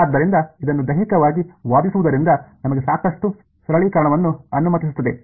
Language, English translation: Kannada, So, just arguing this physically allows us a lot of simplification